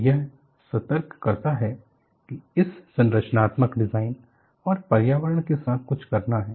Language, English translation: Hindi, So, that alerted, it is something to do with the structural design and the environment